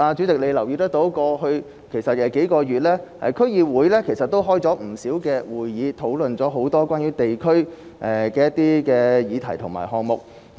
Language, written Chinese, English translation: Cantonese, 代理主席或許也有留意到，區議會在過去數月召開了不少會議，討論了很多關於地區的議題和項目。, The Deputy President may also have noted that over the past few months DCs have held quite a number of meetings to discuss numerous issues and items concerning the districts